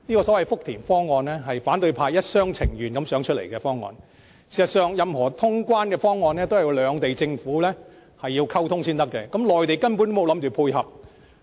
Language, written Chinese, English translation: Cantonese, 這個福田方案是反對派一廂情願想出來的方案，事實上，任何通關方案都要兩地政府溝通才可行，內地政府根本沒打算配合。, This is simply a proposal fancied by the opposition camp . In fact the formulation of any checkpoint proposal requires communication between governments of the two places yet the Mainland government does not intend to tie in with this at all